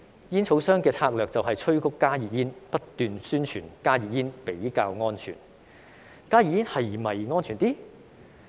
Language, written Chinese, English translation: Cantonese, 煙草商的策略就是催谷加熱煙，不斷宣傳加熱煙比較安全。, The strategy of tobacco companies is to promote and advertise HTPs as a safer alternative